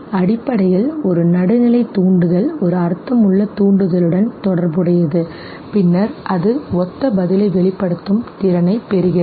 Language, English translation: Tamil, Basically a neutral stimulus gets associated with a meaningful stimulus and then it acquires the capacity to elicit a similar response okay